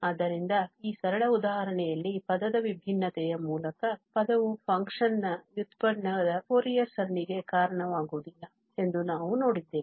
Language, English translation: Kannada, So hence, in the simple example we have seen that this term by term differentiation does not lead to the Fourier series of the derivative of the function